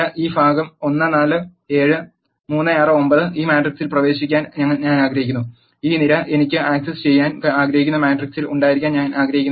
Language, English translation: Malayalam, I want to access in this matrix this part 1 4 7 and 3 6 9 I do not want this column to be in the matrix where I want to access